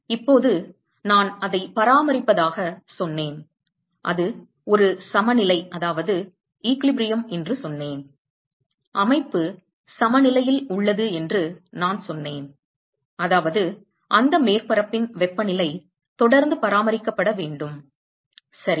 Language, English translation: Tamil, Now, I said that it maintaining, I said that it is an equilibrium; I said that the system is in equilibrium, which means that the temperature of that surface has to be maintained constant right